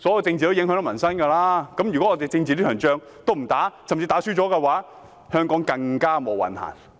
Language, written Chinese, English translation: Cantonese, 政治與民生息息相關，如果我們連政治這場戰爭也不打，甚至打輸了，香港便更"無運行"。, Politics and peoples livelihood are interrelated; it will be disastrous to Hong Kong if we do not put up a political fight or worse lose the battle